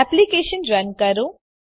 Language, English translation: Gujarati, Run the application